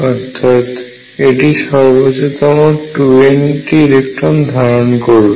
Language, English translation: Bengali, And each of these can carry 2 electrons